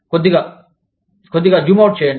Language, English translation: Telugu, Little, zoom out a little bit